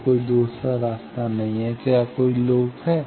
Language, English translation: Hindi, So, there is no other path and is there any loop